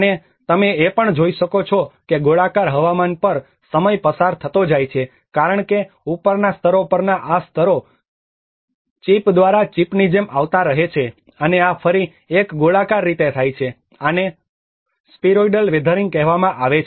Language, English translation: Gujarati, \ \ \ And you can see also as time passes on the spheroidal weathering takes place because this layers on the top layers keeps coming like a chip by chip and this is again in a spheroidal manner, this is called spheroidal weathering